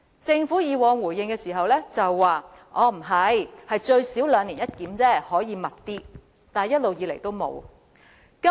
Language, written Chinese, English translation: Cantonese, 政府以往的回應是最少兩年一檢，但有需要時可以更頻密，惟一直以來也沒有這樣做。, According to the replies of the Government in past the biennial review is a basic arrangement and the review can be conducted at a more frequent interval when necessary yet this has never happened